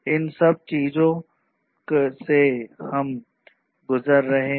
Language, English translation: Hindi, All of these things we have gone through